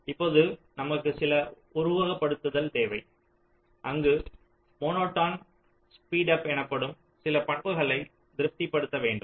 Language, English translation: Tamil, now we need some simulation where some property called monotone speedup should be satisfied